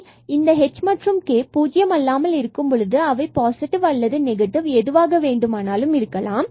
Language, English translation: Tamil, So, whatever h is h may be 0 or h may be non zero, but when k is negative this product is going to be positive